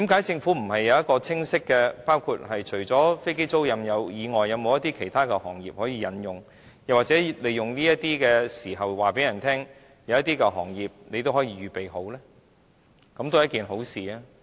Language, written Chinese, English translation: Cantonese, 政府為何不是有清晰計劃，除了飛機租賃以外，是否有其他行業可以引用，或利用這些時候告訴人，當局都可以預備開拓一些其他行業呢？, Why has the Government not devised a clear plan? . Apart from aircraft leasing is there any other sectors to which the tax concessions are applicable? . Or can the authorities take this opportunity to remind the public that they can consider extending the coverage to some other sectors?